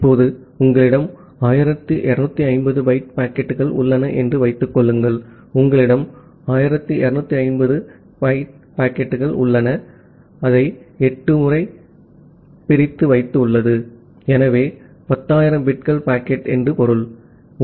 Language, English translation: Tamil, Now, assume that you have a 1250 byte packets, you have a 1250 byte packets means, you have 1250 into 8, so that means, 10000 bits packet